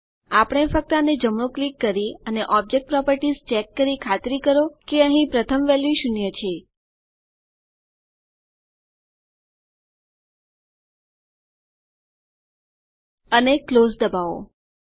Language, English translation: Gujarati, We just have to modify this by right clicking and checking on object properties and making sure the first value zero appears here and press close